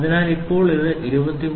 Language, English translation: Malayalam, So, now, it is 23